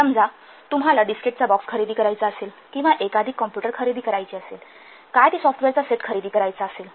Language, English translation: Marathi, Suppose you want to purchase a box of this case or purchase a number of computers purchase what a set of software